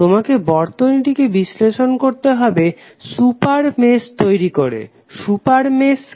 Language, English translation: Bengali, You have to analyze the circuit by creating a super mesh, super mesh means